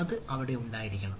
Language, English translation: Malayalam, so that should be there